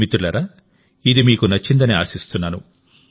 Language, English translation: Telugu, Friends, I hope you have liked them